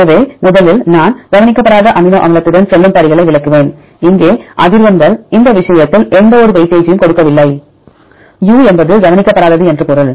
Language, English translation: Tamil, So, I will explain the steps one by one first we go with the unweighted amino acid frequencies here we do not give any weightage in this case u means unweighted